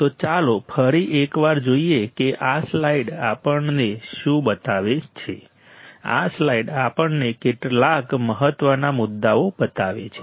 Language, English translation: Gujarati, So, let us quickly see once again what this slide shows us this slide shows us few important points